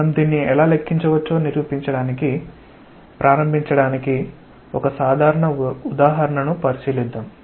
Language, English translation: Telugu, We will consider a simple example to begin with to demonstrate that how we may calculate this